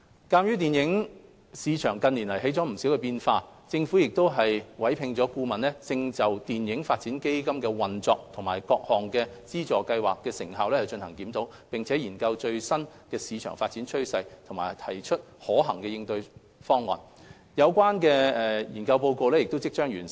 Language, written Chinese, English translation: Cantonese, 鑒於電影市場近年出現了不少變化，政府委聘的顧問正就電影發展基金的運作及其各項資助計劃的成效進行檢討，並研究最新的市場發展趨勢及提出可行的應對方案，有關研究報告即將完成。, In view of the considerable changes in the film market in recent years the Government has engaged a consultant to review the operation and effectiveness of the various funding schemes under FDF to study the latest market development trends and to propose feasible corresponding measures . The study report will be completed shortly